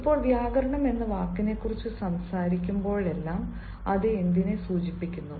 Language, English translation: Malayalam, now, whenever we talk about the word grammar, what does it stand for